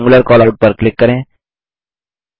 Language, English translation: Hindi, Lets click on Rectangular Callout